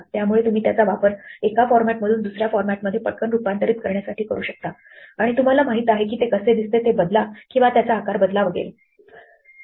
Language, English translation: Marathi, So you can use it to quickly transform data from one format to another and to you know change the way it looks or to resize it and so on